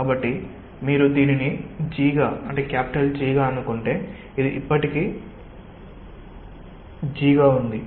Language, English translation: Telugu, so if you have say this as g, this still remains as g